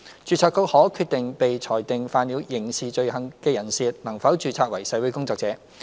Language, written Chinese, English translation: Cantonese, 註冊局可決定被裁定犯了刑事罪行的人士，能否註冊為社會工作者。, The Board may decide whether persons convicted of criminal offences can be registered as registered social workers